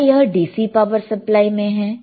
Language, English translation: Hindi, Is it in DC power supply